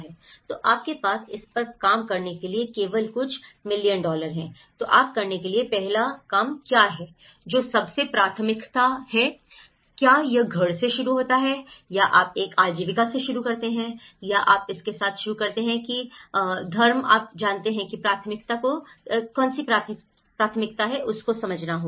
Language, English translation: Hindi, So, which one you have only a few million dollars to work on it so, then what is the first task to work, which are the most priority, is it you start with a home or you start with a livelihood or you start with a religion you know that’s priority has to be understood